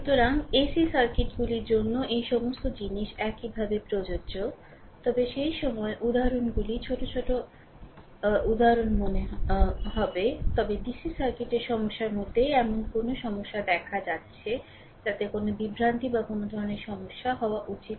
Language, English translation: Bengali, So, all this things similarly applicable to ac circuits, but at that time examples will be small ah sorry exams number of examples will be less ah, but in dc circuit varieties of problem I am showing such that you should not have any confusion or any any sort of problem